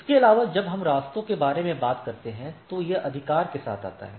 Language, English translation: Hindi, Also when we talk about paths so, it comes with attributes right